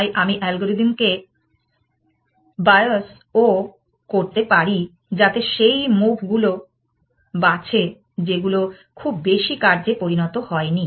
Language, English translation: Bengali, So, I can also bios the algorithm towards moves, which have been made less often essentially